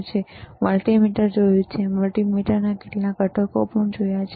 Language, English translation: Gujarati, Then we have seen multimeter, we have connected multimeter to several components